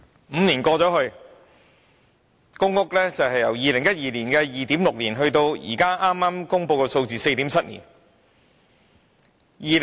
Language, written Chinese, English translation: Cantonese, 五年過去，公屋輪候時間由2012年的 2.6 年，延長至現在剛公布的 4.7 年。, Five years have passed and the waiting time for PRH application has grown from 2.6 years in 2012 to 4.7 years as announced just now